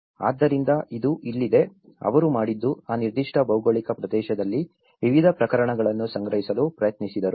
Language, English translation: Kannada, So, this is here, what they did was they tried to compile a variety of cases in that particular geographical region